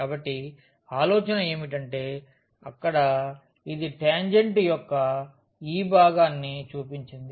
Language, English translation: Telugu, So, the idea is that here this is just shown this part of the tangent